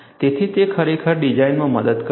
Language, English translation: Gujarati, So, it really helps in design